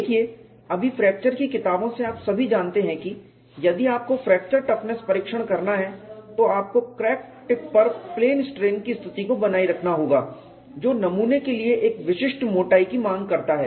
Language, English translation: Hindi, See right now from fracture books you all know that if we have to do fracture toughness testing, you have to maintain plane strain condition at the crack tip which demands a particular thickness for the specimen